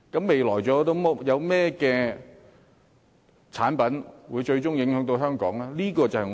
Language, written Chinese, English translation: Cantonese, 未來還有甚麼產品措施，最終會對香港造成影響呢？, Will there be any similar measures for other products in the future? . And what impact will Hong Kong sustain in the end?